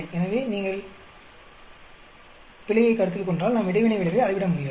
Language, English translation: Tamil, So, if you consider error, then we cannot measure the interaction effect